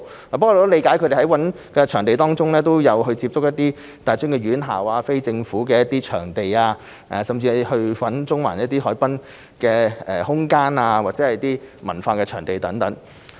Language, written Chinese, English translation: Cantonese, 我得悉主辦單位在尋找場地時都有考慮不同的地方，包括大專院校、非政府場地、中環海濱空間、其他文化場地等。, I understand that the organizer has during the search of venues considered various options including tertiary institutions non - governmental venues space at Central Harbourfront and other cultural venues